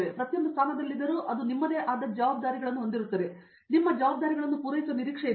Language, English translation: Kannada, I mean as in every position has it’s own, you have your responsibilities, you are expected to fulfill your responsibilities